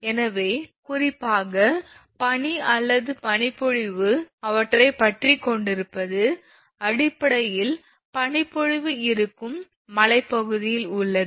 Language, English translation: Tamil, So, particularly ice or sleet clinging to them it is basically in the mountain area where snow fall is there